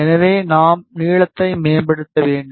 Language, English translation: Tamil, So, we need to optimize the length